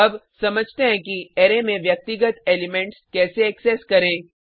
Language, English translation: Hindi, Now, let us understand how to access individual elements in an array